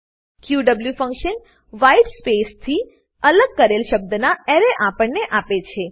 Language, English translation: Gujarati, qw function returns an Array of words, separated by a white space